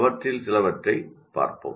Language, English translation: Tamil, Let us look at some of them